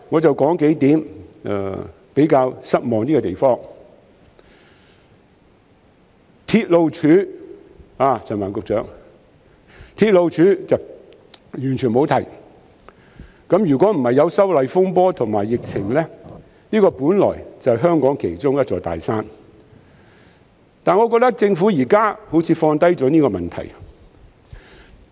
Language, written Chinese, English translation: Cantonese, 陳帆局長要留意，關於"鐵路署"，施政報告是完全沒有提到的，如果不是有修例風波和疫情，這本來就是香港其中一座大山，但我覺得政府現時好像放下了這個問題。, Secretary Frank CHAN may need to pay attention that the railways department is not mentioned in the Policy Address at all . If not for the social unrest arising from the opposition to the proposed legislative amendments to the Fugitive Offenders Ordinance and the epidemic this would have been one of the big mountains facing Hong Kong but I feel that the Government seems to have temporarily shelved this issue